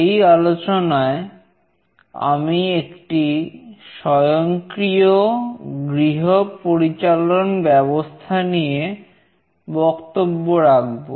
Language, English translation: Bengali, In this lecture, I will be discussing about the design of a Home Automation System